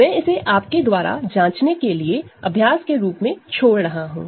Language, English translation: Hindi, So, this I will leave as an exercise for you check this